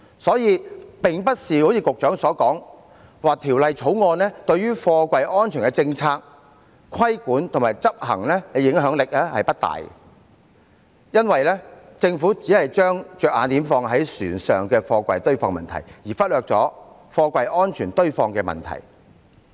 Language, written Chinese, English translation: Cantonese, 所以，並非如局長所言，《條例草案》對於貨櫃安全的政策、規管和執行的影響不大，因為政府只是把着眼點放在船上貨櫃堆放的問題，而忽略了貨櫃安全堆放的問題。, For that reason it is not as what the Secretary has claimed that the Bill does not have much impact on container safety policy regulation and implementation . The Governments attention is focused on the stacking of containers on ships only it has neglected the safety in the stacking of containers . Therefore the Government amends the Freight Containers Safety Ordinance Cap